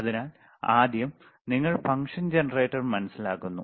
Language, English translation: Malayalam, So, first thing is, you understand the function generator, very good